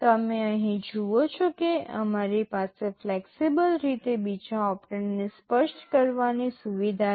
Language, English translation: Gujarati, You see here we have a facility of specifying the second operand in a flexible way